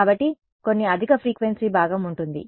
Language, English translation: Telugu, So, there will be some high frequency component right